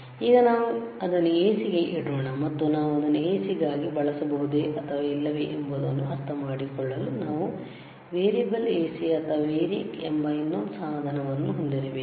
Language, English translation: Kannada, Now, let us let us keep it to AC, and to understand whether we can use it for AC or not we need to have another equipment called variable AC or variAC , which is V A R I A C